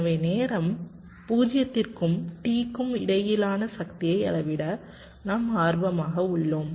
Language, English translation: Tamil, so we are interested to measure the power between time zero and capital t